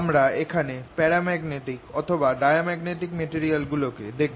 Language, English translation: Bengali, these are paramagnetic, diamagnetic and ferromagnetic